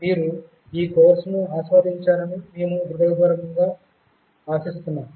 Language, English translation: Telugu, We sincerely hope you have enjoyed this course